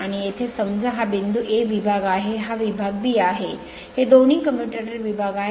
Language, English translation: Marathi, And here suppose this point is A this segment, this segment is B these two are the commutator segments